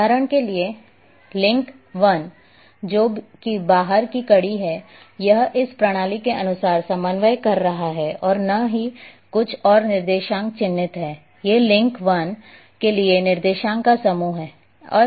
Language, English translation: Hindi, For example for link 1 which is the outside link it is having coordinate as per this system easting and northing or coordinates are marked these are the set of coordinates for link 1